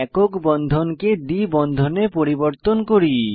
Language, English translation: Bengali, Lets first convert single bond to a double bond